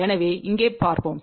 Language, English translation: Tamil, So, let see here